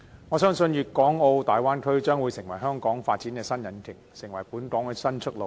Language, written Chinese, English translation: Cantonese, 我相信粵港澳大灣區將會成為香港發展的新引擎，成為本港的新出路。, I think the Guangdong - Hong Kong - Macao Bay Area is set to become a new locomotive of Hong Kongs development and a new way out for the city